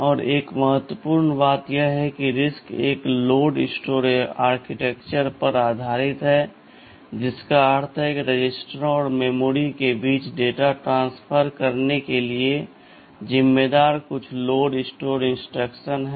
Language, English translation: Hindi, And another important thing is that RISC is based on a load/ store architecture, which means there are some load and store instructions load and store these instructions are responsible for transferring data between registers and memory